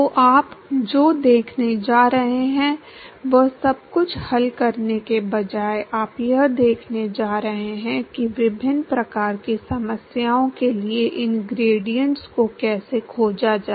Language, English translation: Hindi, So, what you going to see is instead of solving everything, you are going to see how to find these gradients for various kinds of problems